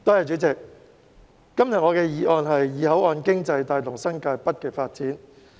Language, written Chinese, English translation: Cantonese, 主席，今天我的議案題為"以口岸經濟帶動新界北發展"。, President the title of my motion today is Driving the development of New Territories North with port economy